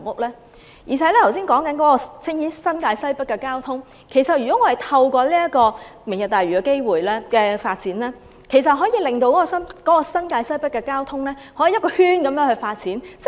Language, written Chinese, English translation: Cantonese, 剛才談到新界西北的交通，透過"明日大嶼"的發展，其實可以令新界西北的交通有全面發展。, Concerning the traffic in North West New Territories mentioned earlier the development under Lantau Tomorrow enables a comprehensive transport development in that region